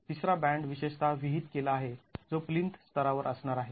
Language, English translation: Marathi, A third band is typically prescribed which is going to be at the plinth level